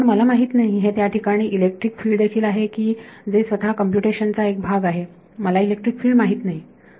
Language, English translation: Marathi, But I do not know the electric field is sitting in there which is itself an object of computation I do not know the electric field